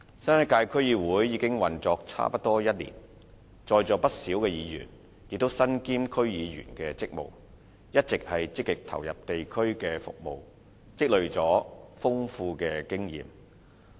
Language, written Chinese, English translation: Cantonese, 新一屆區議會已運作差不多1年，在座不少議員也身兼區議員的職務，一直積極投入地區的服務，累積了豐富經驗。, The new term of DCs has been in operation for nearly one year . Quite a number of Members present here are also DC members who have been actively participating in district services and accumulated enormous experience